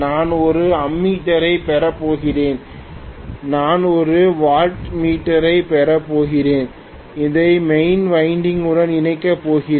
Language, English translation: Tamil, I am going to have an ammeter, I am going to have a wattmeter and I am going to connect it to the main winding